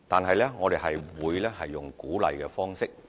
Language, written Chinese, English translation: Cantonese, 可是，我們會採用鼓勵的方式。, However we will adopt an approach of encouragement